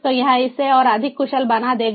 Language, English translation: Hindi, these could also be made smarter